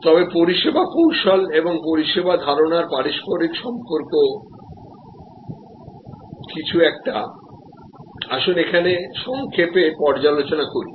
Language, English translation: Bengali, But, service strategy and service concept correlation is something, let us briefly review here